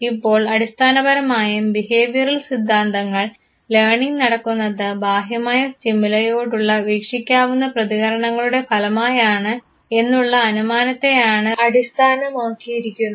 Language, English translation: Malayalam, Now basically the behavioral theories are based on the premise that learning takes place as the result of observable responses to any external stimuli and therefore, it is also known as stimulus response theory